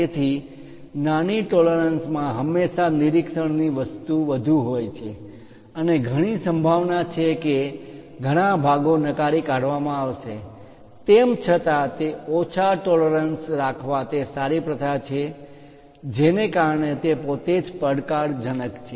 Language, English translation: Gujarati, So, small tolerances always have a greater inspection thing and high is a highly likely that many parts will be rejected, though it is a good practice to have smaller tolerances, but making that itself is challenging